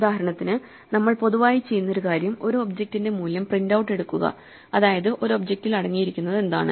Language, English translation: Malayalam, For instance, one of the common things that we might want to do is to print out the value of an object, what does an object contain